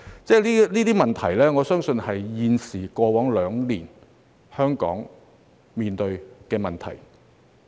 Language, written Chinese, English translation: Cantonese, 這些問題，我相信正是過去兩年香港面對的問題。, Such questions I believe are precisely the problems that Hong Kong has been confronting in the past two years